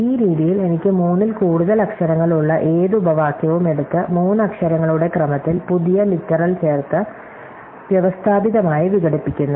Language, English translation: Malayalam, So, in this way, I can take any clause which has more than three literals and systematically decompose it by adding new literals into sequence of three literal clauses